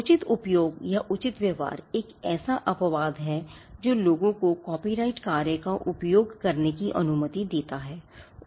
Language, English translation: Hindi, Now, fair use or fair dealing is one such exception which allows people to use copyrighted work